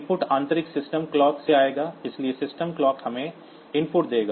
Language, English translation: Hindi, The input will come from the internal system clock, so system clock will give us the input